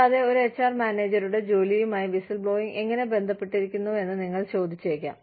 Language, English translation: Malayalam, And, you will say, how is whistleblowing related to, the work of an HR manager